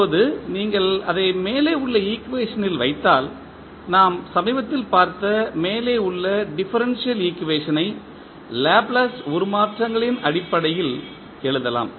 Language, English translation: Tamil, Now, if you put that into the above equation, so the above the differential equation and what we have saw, recently we can write in terms of Laplace transforms